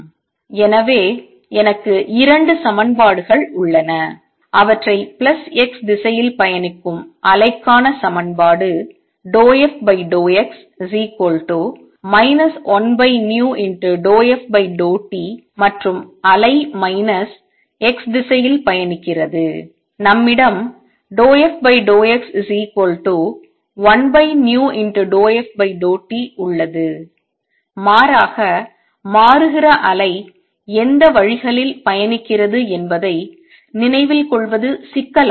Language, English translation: Tamil, So I have two equations, let me write them wave travelling to plus x direction equation is partial f partial x is equal to minus 1 over v partial f partial t and wave travelling to minus x direction, we have partial f over partial x is equal to plus 1 over v partial f partial t and becomes rather cumbersome to remember which ways the wave travelling